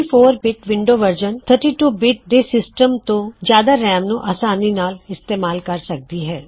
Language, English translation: Punjabi, The 64 bit version of Windows handles large amounts RAM more effectively than a 32 bit system